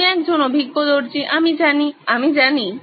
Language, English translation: Bengali, You are an experienced tailor I know, I know